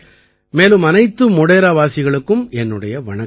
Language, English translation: Tamil, And my salutations to all the people of Modhera